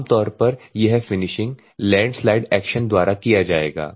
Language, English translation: Hindi, Normally this finishing will be done by landslide action